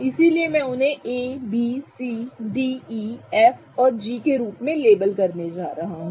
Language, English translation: Hindi, So, I'm going to label them as A, B, C, D, E, F, G, right